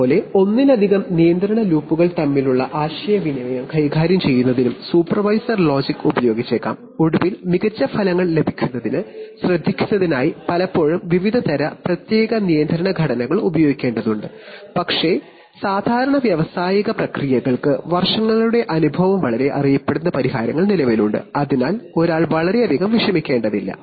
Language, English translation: Malayalam, Similarly, supervisor logic may also be used to treat interaction between multiple control loops and finally, often for taking care for getting the best results, often various kinds of special control structures have to be used but the good thing is that, with years of experience for most of the common industrial processes very well known solutions exist, so one will not worry too much